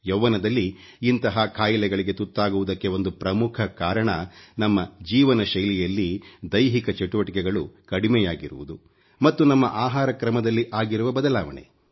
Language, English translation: Kannada, ' One of the main reasons for being afflicted with such diseases at a young age is the lack of physical activity in our lifestyle and the changes in our eating habits